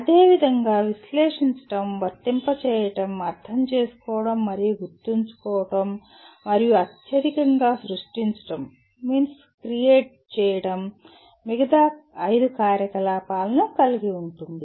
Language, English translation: Telugu, Similarly analyze will involve apply, understand and remember and the highest one is create can involve all the other 5 activities